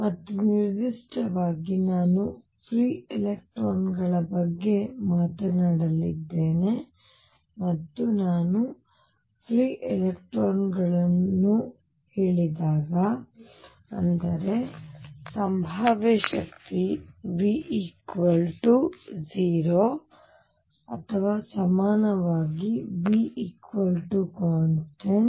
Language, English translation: Kannada, And in particular I am going to talk about free electrons, and when I say free electrons; that means, the potential energy v is equal to 0 or equivalently v equals constant